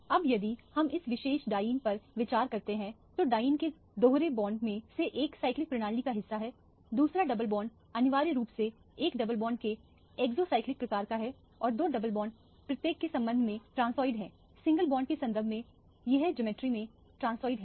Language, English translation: Hindi, Now, if we consider this particular diene, one of the double bond of the diene is part of the cyclic system, the other double bond is essentially in exocyclic kind of a double bond and the two double bonds are transiod with respect to each other with respect to the single bond this is transoid in geometry